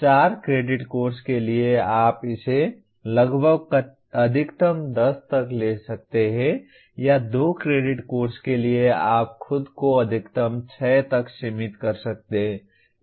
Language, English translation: Hindi, So correspondingly for a 4 credit course you may take it up to almost maximum 10 or for a 2 credit course you can limit yourself to maximum number of 6